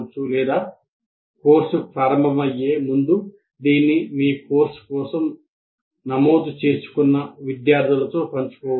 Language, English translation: Telugu, So or even on before the course also starts, this can be shared with the students who are registered for your course